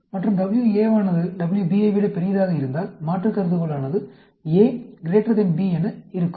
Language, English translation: Tamil, And, if WA is big than WB, then, alternate will be A greater than B